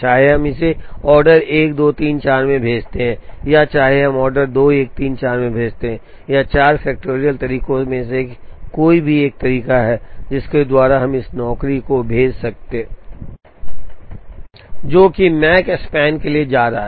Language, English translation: Hindi, Whether we send it in the order 1 2 3 4 or whether we send it in the order 2 1 3 4 or any one of the 4 factorial ways by which, we can send this job, the Makespan is going to remain the same